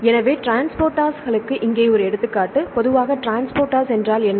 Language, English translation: Tamil, So, here is one example for the transporters; right what is the transporter generally